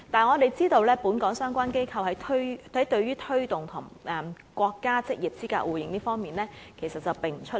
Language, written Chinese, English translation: Cantonese, 我們知道，本港相關機構對於推動與國家職業資格證互認方面，並不出力。, We know that relevant qualification institutions in Hong Kong are not keen on promoting the local recognition of NOQC